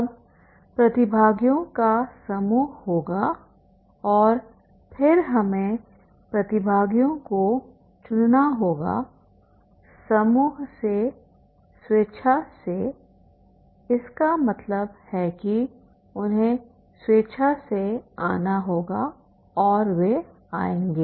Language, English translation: Hindi, Now there will be the group of the participants and then we have to choose the participants from the group voluntarily means they have to come voluntarily and they will come